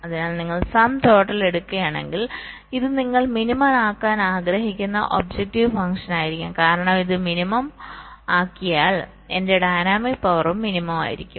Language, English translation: Malayalam, so if you take the sum total, this will be the objective function that you want to minimize, because if i minimize this, my dynamic power will also be minimum